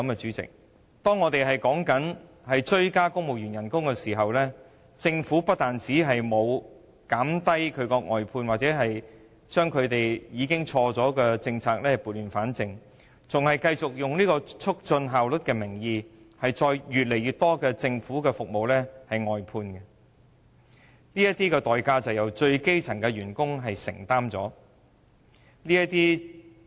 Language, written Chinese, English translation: Cantonese, 主席，不但如此，我們增加公務員薪酬的同時，政府不但沒有減少外判，把錯誤的政策撥亂反正，還以"促進效率"為名，繼續增加外判服務。這個代價由最基層的員工承擔。, President while we seek to give civil servants a pay rise the Government has not only failed to restore things to order by reducing outsourcing it has even continued to increase outsourcing its services under the pretext of enhancing efficiency with the price being paid by workers at the most elementary level